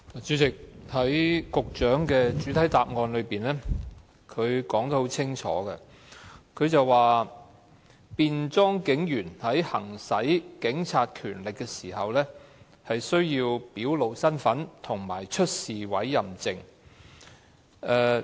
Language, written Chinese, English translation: Cantonese, 主席，局長在主體答覆中清楚表明，"便裝警務人員在行使警察權力時，需要表露身份及出示委任證"。, President the Secretary has clearly stated in the main reply that a plainclothes officer shall identify himselfherself and produce hisher warrant card when exercising hisher police powers according to the prevailing requirement